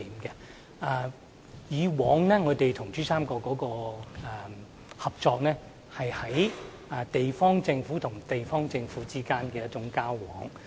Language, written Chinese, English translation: Cantonese, 以往我們與珠三角的合作，是地方政府與地方政府之間的交往。, Our past cooperation with PRD was dealings between regional governments